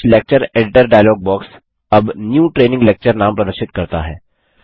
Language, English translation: Hindi, The KTouch Lecture Editor dialogue box now displays the name New Training Lecture